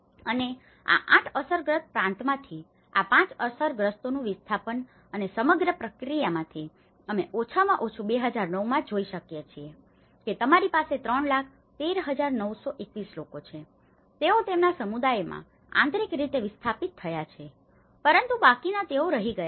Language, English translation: Gujarati, And displacement of these affected 5 of these 8 provinces and out of the whole process, we can see at least in 2009 you have 3 lakhs 13,921 people, have been internally displaced persons integrated in their communities but whereas, the rest of them they have been recorded in 296 camps have been positioned in various camps